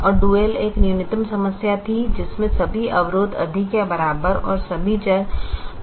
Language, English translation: Hindi, and the dual was a minimization problem with all greater than equal to constraints and all variables greater than or equal to zero